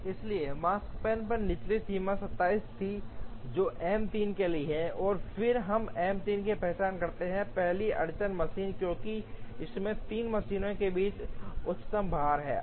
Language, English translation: Hindi, So, lower bound on the Makespan was 27, which is for M 3, and then we identify M 3 as the first bottleneck machine, because it has the highest load amongst the 3 machines